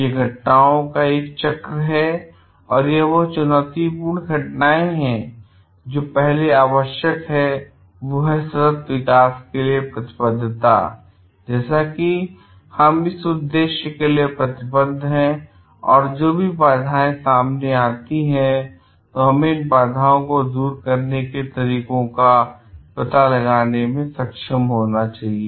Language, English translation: Hindi, So, these is a cycle of events and these are challenging events, but first what is required is the commitment to sustainable development that we are committed for this purpose and whatever hurdles come we are above should be able to find out ways to overcome this hurdles